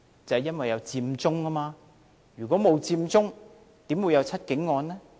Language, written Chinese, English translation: Cantonese, 就是因為有佔中，如果沒有佔中，怎會有"七警案"呢？, Had there been no Occupy Central how would there have been the case?